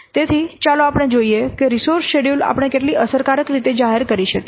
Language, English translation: Gujarati, So then let's see how efficiently we can publicize the resource schedule